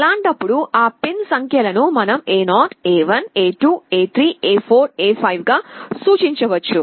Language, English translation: Telugu, In that case those pin numbers we can refer to as A0 A1 A2 A3 A4 A5